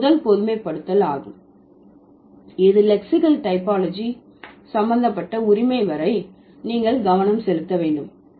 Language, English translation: Tamil, So that's the first generalization that you need to focus on as far as lexical typologies consent, right